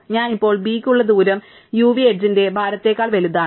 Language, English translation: Malayalam, So, the distance that I currently have for b is bigger than the weight of u v edge